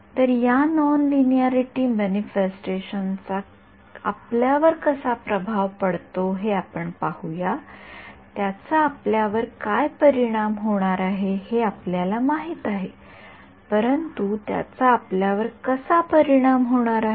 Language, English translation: Marathi, So, let us see the manifestation of this nonlinearity in how does it affect us, we know it is going to affect us, but how it is going to affect us